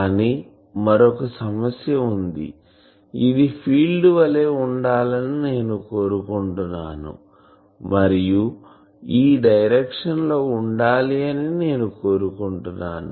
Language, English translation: Telugu, But there is another problem that suppose I want that this should be the type of field, I want that at this direction there should be